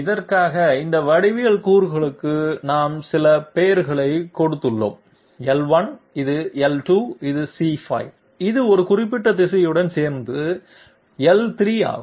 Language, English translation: Tamil, We have given certain names to these geometry elements for this is L1, this is L2, this is C5, and this is L3 together with a particular direction